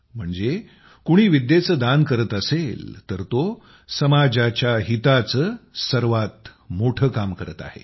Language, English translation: Marathi, That is, if someone is donating knowledge, then he is doing the noblest work in the interest of the society